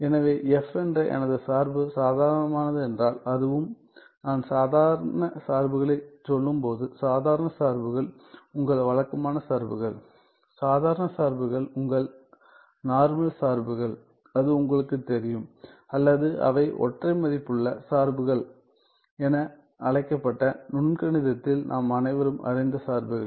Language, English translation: Tamil, So, if f if my function f is ordinary, it is also; when I say ordinary functions, ordinary functions are your regular functions well ordinary functions are your normal the functions that you have you know or the functions which are so, called single valued functions, functions that we are all aware in calculus